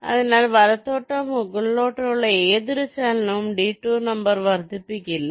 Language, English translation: Malayalam, so any movement towards right or towards top will not increase the detour number